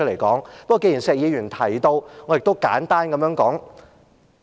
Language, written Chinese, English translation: Cantonese, 不過，既然石議員提到，我亦想簡單講解一下。, Nonetheless since they were mentioned by Mr SHEK I would also like to make a brief explanation